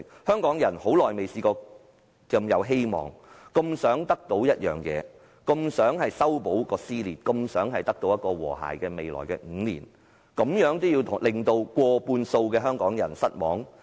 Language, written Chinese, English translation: Cantonese, 香港人已很久沒有如此充滿希望，這麼想得到一件東西，這麼想修補撕裂，這麼想未來5年會有和諧，難道他們真的要令過半數的香港人失望？, It has been a long time since Hong Kong people are so full of hope so eager to get something so desperate to resolve dissension and so anxious for harmony in the next five years . Do they really want to disappoint more than half of the population of Hong Kong?